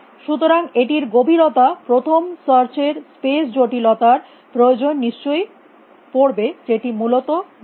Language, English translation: Bengali, So, it must be requiring space complexity of depth first search which is linear essentially